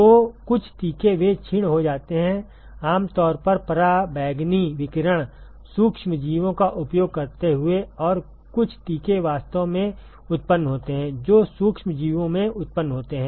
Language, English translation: Hindi, So, some vaccines, they are attenuated, typically using ultraviolet radiation, microorganisms and some vaccines are actually generated they are generated in microorganisms